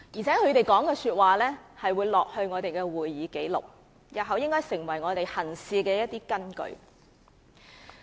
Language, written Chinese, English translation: Cantonese, 他們的發言會記錄在會議紀錄中，成為日後行事的根據。, Their speeches will be put down in the official record of proceedings and form the basis of conduct of proceedings in future